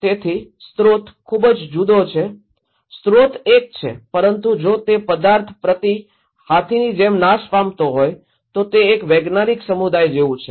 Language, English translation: Gujarati, So, the source is very different, source is one, but looking at that as object is perish like some per is elephant it’s like one community of scientists